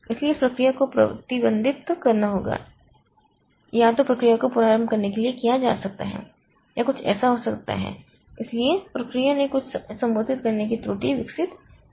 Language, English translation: Hindi, So, the process has to be restricted either may be process may be told to restart or something like that but the process has developed some addressing error